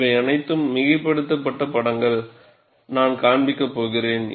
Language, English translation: Tamil, It is all highly exaggerated pictures, I am going to show